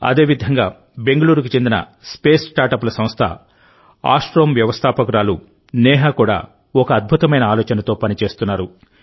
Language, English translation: Telugu, Similarly, Neha, the founder of Astrome, a space startup based in Bangalore, is also working on an amazing idea